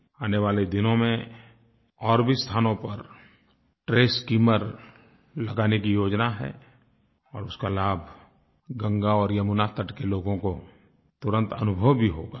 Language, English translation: Hindi, In the coming days, we have plans to deploy such trash skimmers at other places also and the benefits of it will be felt by the people living on the banks of Ganga and Yamuna